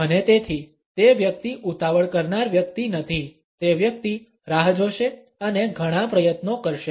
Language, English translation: Gujarati, And therefore, the person is not a hurried person the person would wait and put in a lot of effort